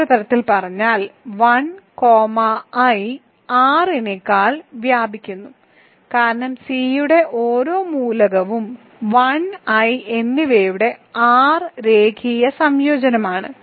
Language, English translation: Malayalam, So, in other words 1 comma i span C over R because every element of C is an R linear combination of 1 and i